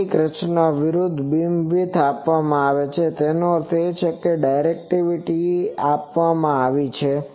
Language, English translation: Gujarati, In some designs the opposite, the beam width is given; that means, the directivity is given